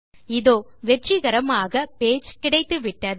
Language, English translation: Tamil, So we get a successful page